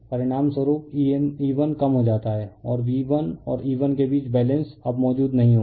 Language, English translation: Hindi, As a result E 1 reduces and the balance between V 1 and E 1 would not would no longer exist, right